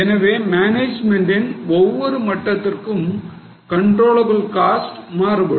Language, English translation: Tamil, So, for each level of management, the controllable cost changes